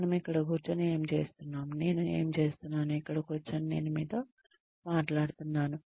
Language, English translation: Telugu, What are we doing sitting here, what am I doing, sitting here, talking to you